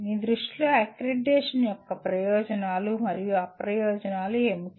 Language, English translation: Telugu, What in your view are the advantages and disadvantages of accreditation